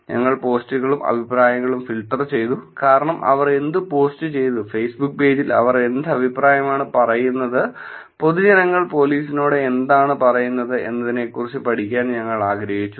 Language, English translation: Malayalam, And we filtered the posts and comments, because we wanted to study what public said to the police in terms of what post that they did, what comments that they say on the Facebook page